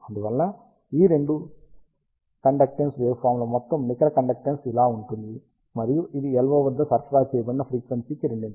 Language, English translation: Telugu, And hence, the net conductance which is sum of these two conductance waveforms is like this, and which is at twice the supplied frequency at the LO